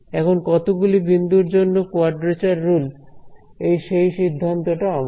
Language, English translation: Bengali, So, the choice of how many points of quadrature rule that I want it is up to me